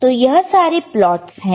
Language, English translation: Hindi, So, these are the plots